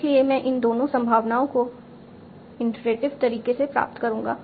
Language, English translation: Hindi, So I will be deriving both these probabilities in an iterative manner